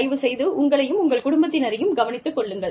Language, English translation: Tamil, Please, look after yourselves and your families